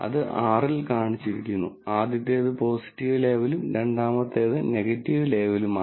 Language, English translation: Malayalam, That is shown in, in R, then the, the first one is the positive label and the second one is the negative label